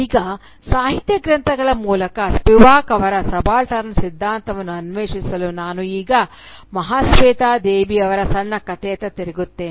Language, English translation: Kannada, Now, to explore Spivak’s theorisation of the subaltern through a literary texts, let me now turn to Mahasweta Devi’s short story